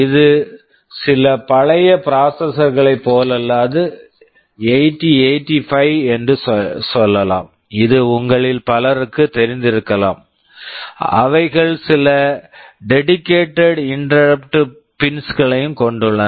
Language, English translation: Tamil, This is unlike some older processors; let us say 8085 which many of you may be knowing, which had some dedicated interrupt pins